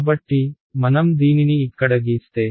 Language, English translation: Telugu, So, if I just draw this over here